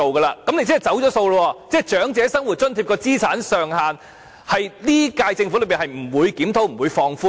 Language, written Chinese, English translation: Cantonese, 那麼，你便是"走數"了，即長者生活津貼的資產上限在本屆政府任期內不會檢討和放寬。, In that case you have back - pedalled that is the asset limit of OALA will not be reviewed and relaxed within this term of the Government